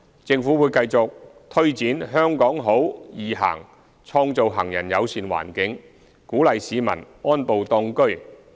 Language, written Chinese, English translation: Cantonese, 政府會繼續推展"香港好.易行"，創造行人友善環境，鼓勵市民安步當車。, The Government will continue to take forward Walk in HK foster a pedestrian - friendly environment and encourage people to walk more